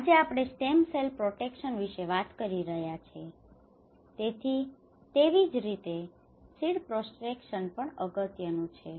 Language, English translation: Gujarati, Today, we are talking about stem cells protection, so similarly the seed protection is also an important